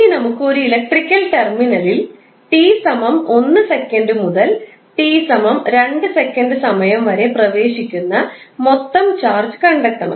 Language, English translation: Malayalam, And now to find out the total charge entering in an electrical terminal between time t=1 second to t=2 second